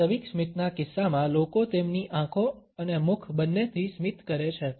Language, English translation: Gujarati, In case of genuine smiles, people smile both with their eyes and mouth